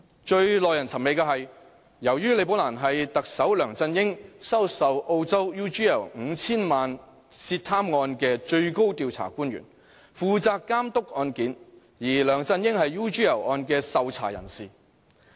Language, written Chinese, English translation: Cantonese, 最耐人尋味的是，由於李寶蘭是特首梁振英收受澳洲 UGL 5,000 萬元涉貪案的最高調查官員，負責監督案件，而梁振英是 UGL 案的受查人士。, The most baffling thing lies in the fact that Rebecca LI was the highest official responsible for overseeing the investigation into the alleged corruption case involving Chief Executive LEUNG Chun - yings receipt of 50 million from Australian enterprise UGL Limited and LEUNG Chun - ying was under investigation in the UGL case